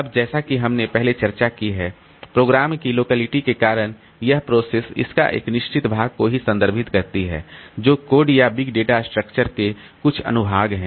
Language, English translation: Hindi, Now, due to the locality of programs as we have discussed previously, so this process it refers to a certain part of its code or certain sections of the big data structure